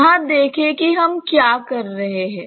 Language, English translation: Hindi, See here what we are doing